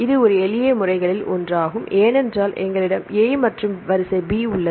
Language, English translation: Tamil, It is one of the simplest methods because we have the sequence A and sequence B